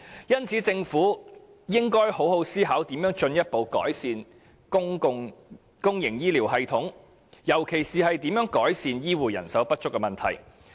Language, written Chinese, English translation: Cantonese, 因此，政府應好好思考如何進一步改善公營醫療系統，尤其是如何改善醫護人手不足的問題。, Hence the Government should seriously consider how it can further improve the public health care system especially how it can relieve the problem of shortage of health care personnel